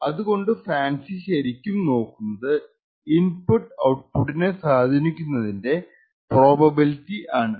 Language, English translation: Malayalam, So, what FANCI actually measures, is the probability with which this input A affects the output